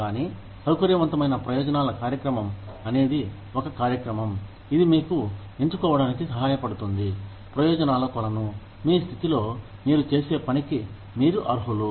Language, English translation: Telugu, But, flexible benefits program is a program, that helps you choose from, a pool of benefits, that you are eligible for, in your position, in what you do